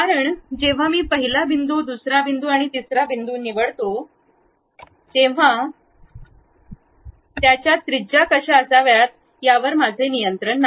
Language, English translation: Marathi, Because when I pick first point, second point, third point, I do not have any control on what should be the radius I cannot control it